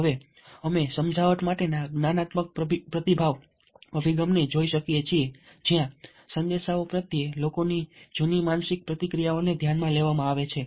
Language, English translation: Gujarati, now we can look at the cognitive response approach to persuasion, where peoples own mental reactions to the messages taken into account here